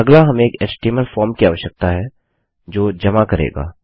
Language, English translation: Hindi, Next we need an HTML form that will submit